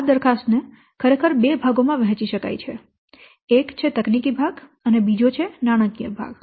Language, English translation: Gujarati, So, the proposal actually can be divided into two parts, one the technical part, another the financial part